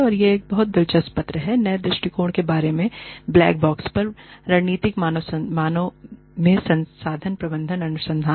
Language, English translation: Hindi, And, this is a very interesting paper, regarding new perspectives, on the black box, in strategic human resource management research